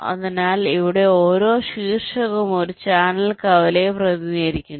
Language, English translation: Malayalam, so here, ah, each vertex represents a channel intersection